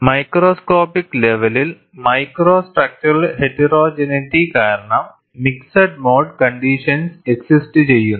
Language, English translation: Malayalam, At the microscopic level, due to micro structural heterogeneity, mixed mode conditions can exist